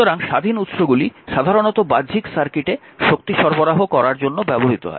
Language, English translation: Bengali, So, independent sources are usually meant to deliver power to the, your external circuit